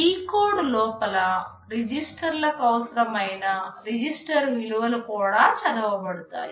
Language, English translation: Telugu, Within the decode, the register values are also read whatever registers are required